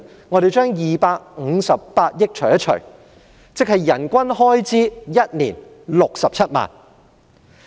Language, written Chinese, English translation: Cantonese, 我們把258億元除以人數，便會得出1年的人均開支67萬元。, If we divide 25.8 billion by the number of staff it gives a per capita expenditure of 670,000 per year